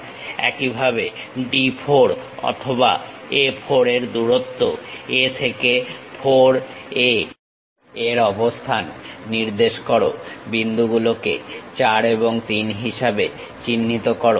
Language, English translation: Bengali, Similarly, D 4 or A 4 distance locate it from A to 4 mark that point as 4 and 3